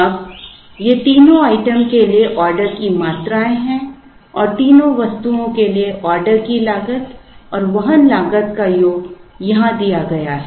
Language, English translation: Hindi, Now, these are the order quantities for the 3 items and the sum of order cost and carrying cost for the 3 items are given here